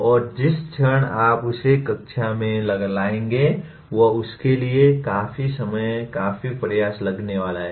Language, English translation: Hindi, And the moment you bring that into the classroom, it is going to take considerable effort, considerable time for that